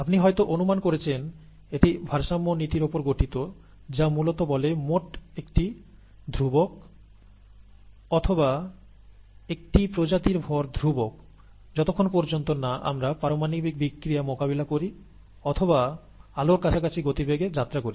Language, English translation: Bengali, As you would have guessed this based on the law of conservation of mass, which essentially says that the total mass is a constant as or the mass of a species is a constant as long as we do not deal with nuclear reactions or travel at speeds close to that of light